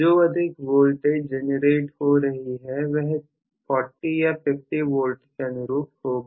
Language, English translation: Hindi, So, the higher voltage that is being generated will be corresponding to may be about 40 or 50 V